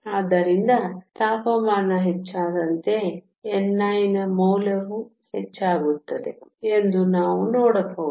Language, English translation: Kannada, So, we can see that with increasing in temperature, the value of n i also increases